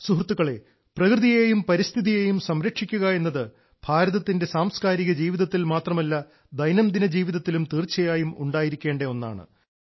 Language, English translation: Malayalam, Friends, the protection of nature and environment is embedded in the cultural life of India, in our daily lives